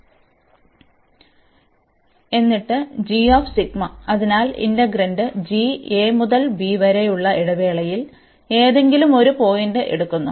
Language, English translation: Malayalam, And then g psi, so g the integrand is taken at some point in the interval a to b